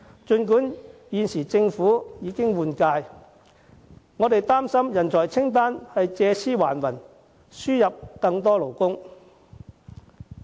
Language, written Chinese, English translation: Cantonese, 儘管政府現時已經換屆，我們擔心上述人才清單會借屍還魂，藉以輸入更多勞工。, Despite the change in the term of government we are concerned that the above talent list would revive with more labour to be imported . We are not worried about something that we imagine